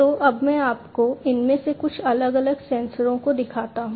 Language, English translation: Hindi, So, let me now show you some of these different sensors